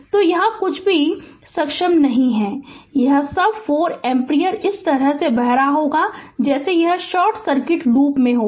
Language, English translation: Hindi, So, nothing there is nothing able here and all this 4 ampere will be flowing like this it will be in a short circuit loop right